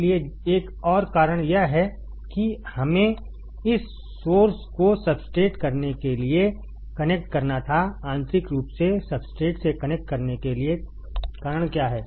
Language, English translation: Hindi, So, another one is why we had to connect this source to substrate what is the reason of connecting source to substrate internally right